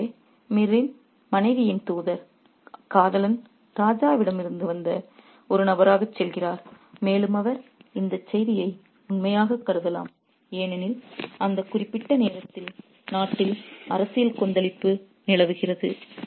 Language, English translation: Tamil, So, the messenger slash lover of Mir's wife acts as a person who has come from the king and he gives this message which can be interpreted as being true because there is political turmoil in the country at that particular point of time